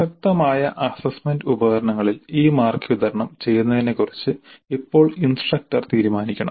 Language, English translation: Malayalam, Now the instructor must decide on the distribution of these marks over the relevant assessment instruments